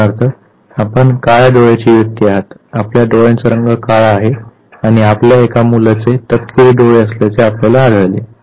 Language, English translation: Marathi, Say for instance, you are a black eyed person the color of the eye ball is black and you realize that one of your child has a brown eye ball